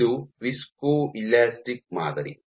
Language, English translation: Kannada, This is a viscoelastic sample